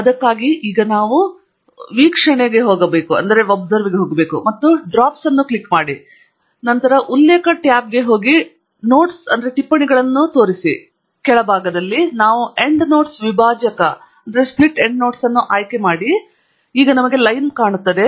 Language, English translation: Kannada, For that what we now need to do is go to View, and click on Draft; then go to References tab, then Show Notes; at the bottom, we then select Endnotes Separator and now we have the line